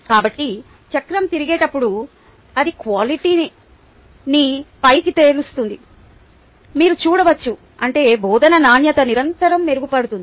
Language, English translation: Telugu, so as the wheel rotates you can see that it moves up the quality wedge, which means the quality of teaching goes on improving continuously